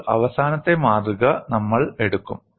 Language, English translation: Malayalam, Now, we will take up the last specimen